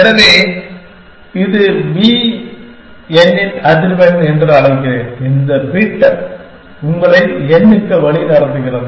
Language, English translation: Tamil, So, let me just call it frequency of b n, the bit which makes leads you to this n th essentially